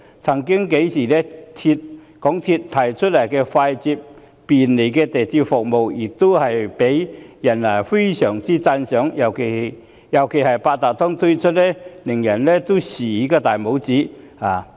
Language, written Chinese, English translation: Cantonese, 曾幾何時，港鐵公司所提供的快捷便利鐵路服務曾獲大家讚賞，尤其是在推出八達通卡後，更叫人"豎起大拇指"。, The expeditious and convenient railway services provided by MTRCL once commanded peoples commendation . People even gave the thumbs - up especially after the introduction of Octopus card